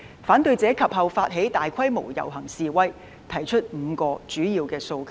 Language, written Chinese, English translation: Cantonese, 反對者及後發起大規模遊行示威，提出5項主要訴求。, Subsequently the opponents initiated large - scale processions and demonstrations and presented five main demands